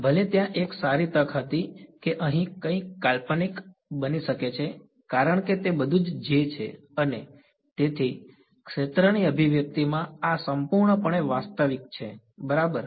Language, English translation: Gujarati, Even though there was a good chance that something could have something could become imaginary over here because they are all is js and so, all in the field expression this is purely real right